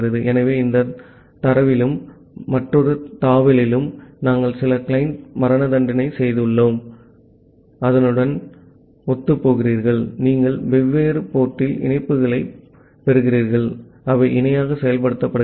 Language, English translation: Tamil, So, you see that we have made some client execution here in this tab and as well as in the another tab and correspond to that, you are getting the connections at different port and they are getting executed in parallel